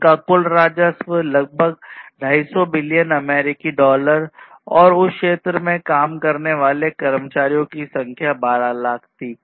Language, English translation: Hindi, And their overall revenues were in the order of about 250 billion US dollars and the number of employees working in that area was about 1